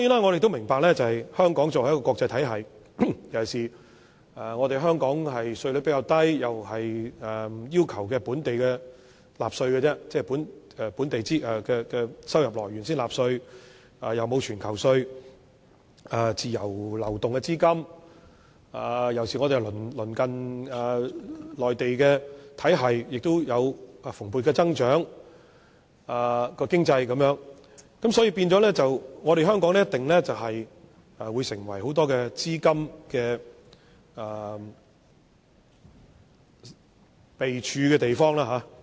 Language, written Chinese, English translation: Cantonese, 我們都明白，香港作為一個國際金融中心，同時稅率較低，亦只要求公司及個別人士就本地收入來源納稅，並無全球徵稅制度，資金可以自由流動，而我們鄰近的內地及其他地方的經濟體系，經濟亦有蓬勃增長，因此香港定會成為很多資金匯集之地。, We all understand that Hong Kong is an international financial centre with relatively low tax rates . As Hong Kong only requires companies and individuals to pay taxes on their local income sources and has not put in place a global taxation system there are free flows of capital . Also owing to the robust economic growth in Mainland China and other economies in our neighbourhood in recent years there has been a steady flow of capital into Hong Kong